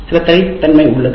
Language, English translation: Tamil, So there is some specificity